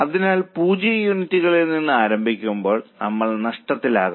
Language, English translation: Malayalam, So, starting from zero units we will be in losses